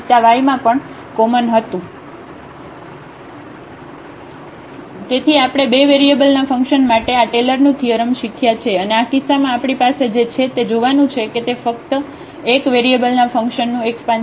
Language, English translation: Gujarati, Well so, we have learned this Taylor’s theorem for a function of two variables and in this case what we have what we have observed that it is just the extension of these functions of 1 variable